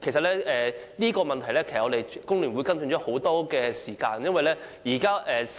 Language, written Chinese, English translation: Cantonese, 就這個問題，其實工聯會已跟進很長的時間。, Actually the Hong Kong Federation of Trade Unions has been following the issue for a long time